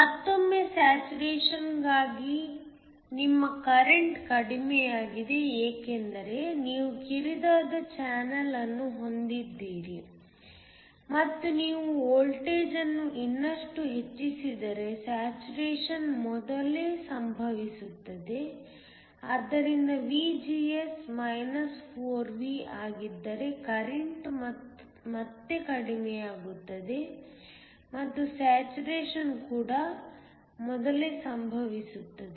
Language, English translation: Kannada, Once again your current for saturation is lower because you have a narrower channel and also the saturation occurs earlier if you increase the voltage even more, so VGS is 4V the current will again go down and saturation also occurs earlier